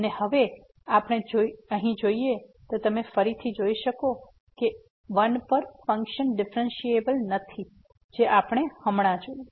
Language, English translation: Gujarati, And if we take a look here at this floor, then you again see that at 1 here the function is not differentiable which we have just seen